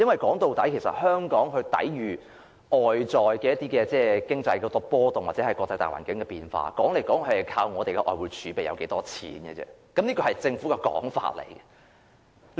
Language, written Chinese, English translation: Cantonese, 說到底，香港抵禦外圍經濟波動或國際大環境變化的方法，說來說去，就是靠我們有多少外匯儲備，這是政府的說法。, After all Hong Kongs approach to cushioning off external economic fluctuations or changes in the international environment simply depends on the amount of foreign exchange reserves we have . This is the Governments line